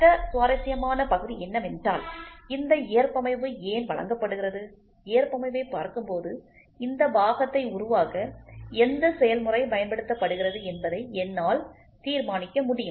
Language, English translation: Tamil, And the other interesting part is why is this tolerance given, looking into the tolerance I can also decide which process used to produce this part